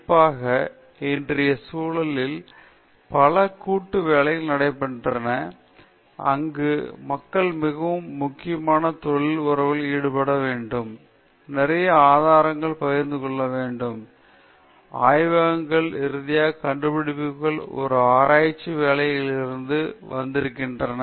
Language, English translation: Tamil, Particularly, in todayÕs world, where there is a lot of collaborative work taking place people have to engage in very important professional relationships, there is a lot of, you know, questions of sharing certain resources, laboratories, and finally, also publishing the kind of findings they have come out of a research work